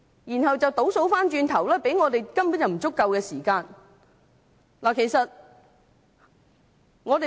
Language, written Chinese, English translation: Cantonese, 然後倒數過來，給予我們審議《條例草案》的時間根本不足夠。, Counting back from the time for commissioning the time available for Members to scrutinize the Bill is by no means enough